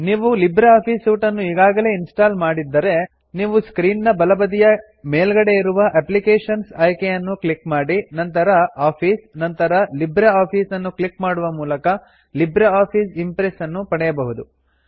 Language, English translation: Kannada, If you have already installed LibreOffice Suite, you will find LibreOffice Impress by clicking on the Applications option at the top left of your screen and then clicking on Office and then on LibreOffice option